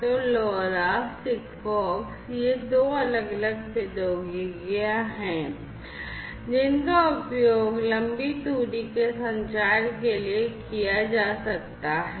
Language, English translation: Hindi, So, LoRa, SIGFOX these are two different technologies that could be used for long range communication